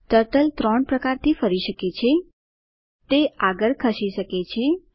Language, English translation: Gujarati, Turtle can do three types of moves: It can move forwards